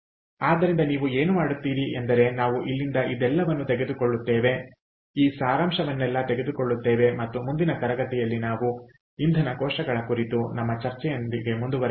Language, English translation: Kannada, ok, so what you will do is we will pick up from here and in the next class, we will continue with our discussion on fuel cells